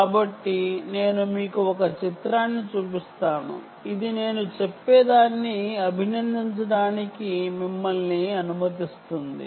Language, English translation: Telugu, so i will show you a picture which will allow you to appreciate what i am saying